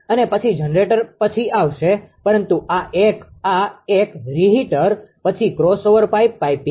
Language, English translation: Gujarati, And then generator will come later so, but this 1 this 1 the reheater then crossover pipe piping